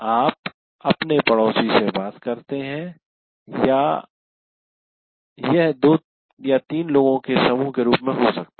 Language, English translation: Hindi, You talk to your neighbor or it could be as a group or two people doing that